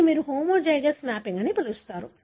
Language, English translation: Telugu, So, that is what you call as homozygous mapping